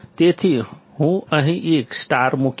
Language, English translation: Gujarati, So, I will put a star here